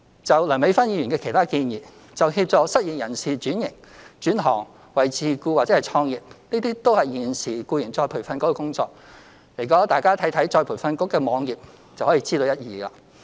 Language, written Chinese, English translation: Cantonese, 至於梁美芬議員的其他建議，就協助失業人士轉行、轉型為自僱或創業，這都是現時再培訓局的工作，大家看看再培訓局的網頁便知一二。, As for the other proposals made by Dr Priscilla LEUNG with regard to assisting the unemployed in switching to other trades becoming self - employed or starting their own businesses all these are currently the work of ERB and Members can take a look at ERBs website to find out more